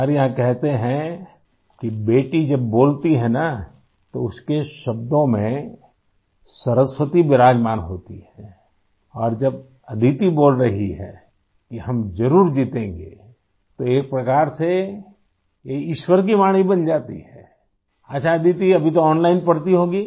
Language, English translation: Hindi, It is said here that when a daughter speaks, Goddess Saraswati is very much present in her words and when Aditi is saying that we will definitely win, then in a way it becomes the voice of God